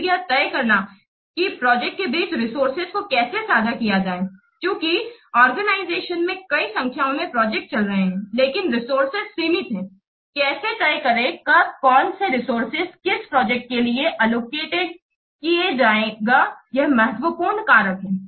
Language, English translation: Hindi, So assessing how the system will be affected, so assessing the risks involved with the projects, then deciding how to share resources between projects, since there are multiple number of projects are running in an organization, but the resources are limited, how to decide when which resource will be allocated to which project, that is an important factor